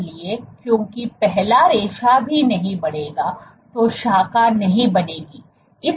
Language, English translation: Hindi, So, because the first filament itself would not increase would not branch